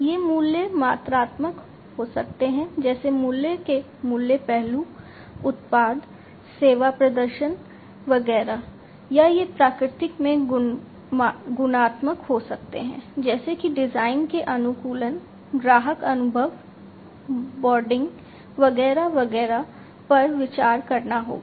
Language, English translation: Hindi, These values could be quantitative such as the price aspects of price, product, service performance, etcetera or these could be qualitative in nature such as the design that has to be considered the customization, the customer experience, the branding, etcetera etcetera